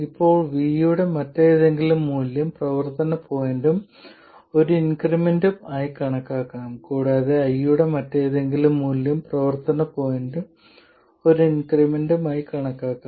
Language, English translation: Malayalam, Now any other value of V can be thought of as the operating point plus an increment and any other value of Y can be thought of as the operating point plus an increment